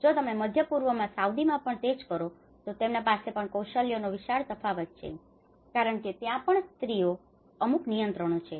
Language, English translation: Gujarati, If you do the same thing in Saudi because there is a huge in the Middle East, so they have the skill difference is so huge because women have certain restrictions